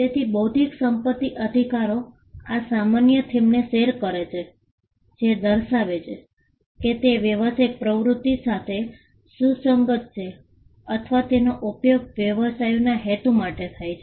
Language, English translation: Gujarati, So, intellectual property rights share this common theme that, they are relevant for commercial activity or they are used for the purpose of businesses